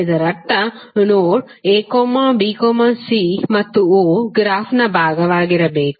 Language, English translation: Kannada, It means that node a, b, c and o should be part of the graph